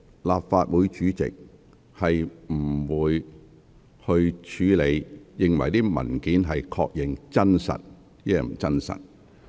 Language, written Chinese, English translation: Cantonese, 立法會主席不會確認有關文件內容是否屬實。, The President of the Legislative Council will not confirm whether the relevant contents of a paper are true